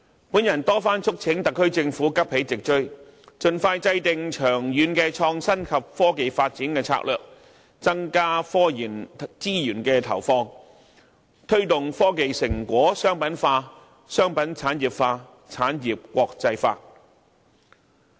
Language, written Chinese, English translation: Cantonese, 我曾多番促請特區政府急起直追，盡快制訂長遠的創新及科技發展策略，增加科研資源的投放，推動科技成果商品化，商品產業化，產業國際化。, I have repeatedly urged the SAR Government to try its best to catch up and expeditiously develop a long - term strategy for innovation and technology development so as to provide additional technology research resources to promote commercialization of technology results industrialization of commodities and internationalization of industries